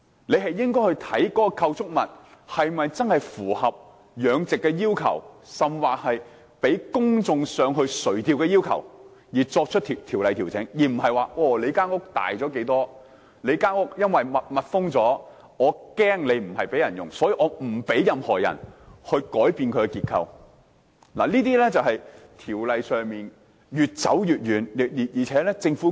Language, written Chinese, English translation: Cantonese, 政府應該考慮相關構築物是否真正符合養殖的要求，甚或是否符合公眾上魚排垂釣的要求，再就條例作出調整，而不是說屋大了多少，又或因為屋是密封，懷疑不是開放給公眾使用，因此就不讓任何人改變結構，這正正是條例越來越脫節的例子。, The Government should consider whether the structures concerned are truly required for purposes of mariculture or allowing the public to fish on mariculture rafts it should then make adjustments to the law . It should not merely focus on the size of the structures constructed or suggest that the enclosed structures arouse suspicions of them not being open to the public and then conclude that no change of structure is allowed . This is a typical example showing that the law is becoming more and more outpaced